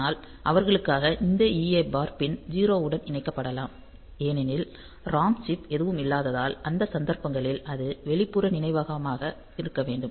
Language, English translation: Tamil, So, for them the we can have this EA bar pin connected to 0 because there is no ROM chip present so it has to be external memory and so in those cases